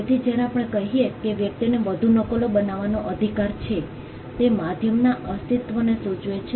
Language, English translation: Gujarati, So, when we say that a person has a right to make further copies it presupposes the existence of a medium